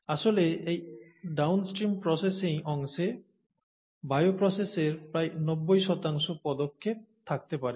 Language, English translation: Bengali, In fact, the downstream processing part could have about 90 percent of the steps of this bioprocess